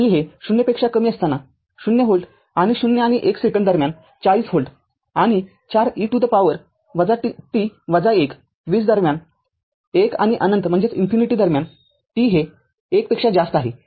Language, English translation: Marathi, So, 0 volt for t less than 0 and 40 volt for in between 0 and 1 second and 4 e to the power minus t to minus 1 volt in between 20 your what you call your between one and infinity t greater than 1 right